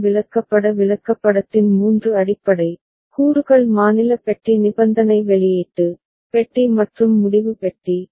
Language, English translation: Tamil, Three basic components of ASM charts chart are state box conditional output box and decision box